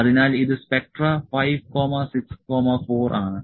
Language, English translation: Malayalam, So, this is Spectra 5, 6, 4